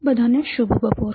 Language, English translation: Gujarati, Good afternoon to all